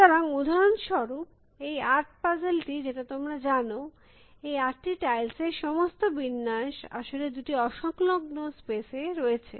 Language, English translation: Bengali, So, for example, this puzzle that 8 puzzle that you know, all the permutations of these 8 tiles are actually into two disjoint spaces